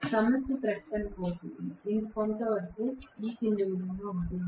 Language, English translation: Telugu, So, the problem statement goes somewhat as follows